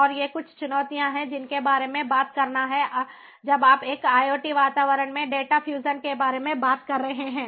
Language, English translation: Hindi, and ah, these are some of the challenges that have to be talked on when you are talking about data fusion in an iot environment